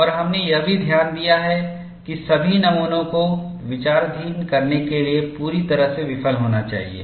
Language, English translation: Hindi, And we have also noted that, all specimens must fail completely in order to be considered